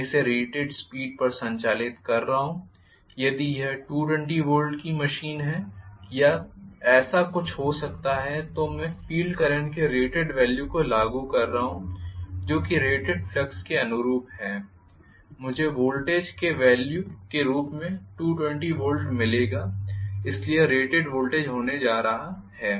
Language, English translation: Hindi, I am operating this at rated speed, so if it is a 220 volts machine or something like that may be then I am applying the rated value of field current which is corresponding to rated flux, I will get 220 volts as the value of voltage, so this is going to be rated voltage